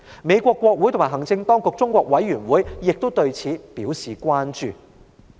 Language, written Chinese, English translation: Cantonese, 美國國會及行政當局中國委員會亦對此表示關注。, In the United States the Congressional - Executive Commission on China also expressed concern about this incident